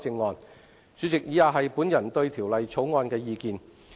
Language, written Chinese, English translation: Cantonese, 代理主席，以下是我對《條例草案》的意見。, Deputy President the following are my personal views on the Bill